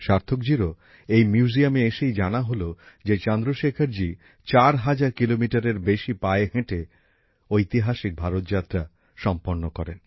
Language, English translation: Bengali, Sarthak ji also came to know only after coming to this museum that Chandrashekhar ji had undertaken the historic Bharat Yatra, walking more than 4 thousand kilometers